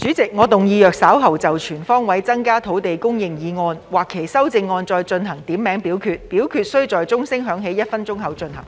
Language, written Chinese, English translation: Cantonese, 主席，我動議若稍後就"全方位增加土地供應"所提出的議案或其修正案進行點名表決，表決須在鐘聲響起1分鐘後進行。, President I move that in the event of further divisions being claimed in respect of the motion on Increasing land supply on all fronts or any amendments thereto this Council do proceed to each of such divisions immediately after the division bell has been rung for one minute